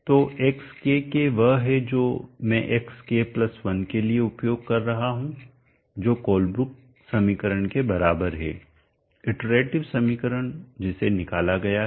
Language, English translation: Hindi, is greater than so much or form all these operations so xkk is what I am using for xk+ 1 which is = the Colebrook equation iterative equation which we derived then